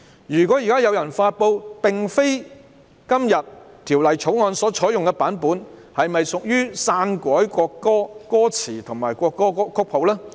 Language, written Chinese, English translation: Cantonese, 若現在有人發布並非今天《條例草案》所採用的版本，是否屬"篡改國歌歌詞或國歌曲譜"呢？, If someone now publishes a version other than the one adopted by the Bill today does it amount to altering the lyrics or score of the national anthem?